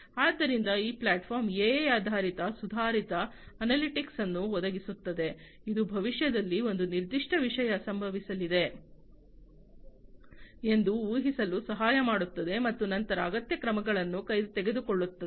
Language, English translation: Kannada, So, basically this platform provides AI based Advanced Analytics, which can help in predicting when a particular thing is going to happen in the future and then taking requisite actions